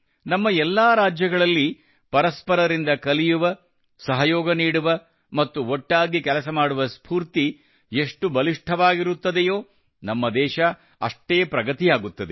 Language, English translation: Kannada, In all our states, the stronger the spirit to learn from each other, to cooperate, and to work together, the more the country will go forward